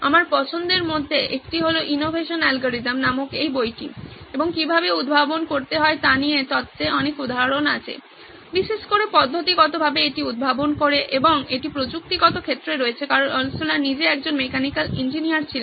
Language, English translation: Bengali, One of my favourite is this book called Innovation Algorithm and theory gives a lot of examples on how to innovate, invent particularly doing it systematically and this is in technical field because Altshuller himself was a mechanical engineer